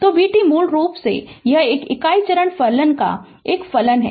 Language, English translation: Hindi, So, v t basically it is a function of your what you called unit step function